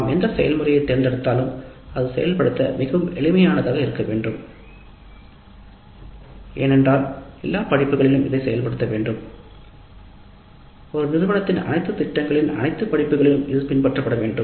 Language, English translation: Tamil, Whatever process we select that must be reasonably simple to implement because we need to implement it across all the courses and it must be followed for all the courses of all programs of an institution